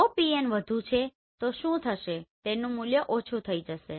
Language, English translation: Gujarati, So if Pn is more what will happen the value will be less right